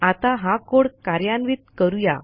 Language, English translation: Marathi, So lets execute this code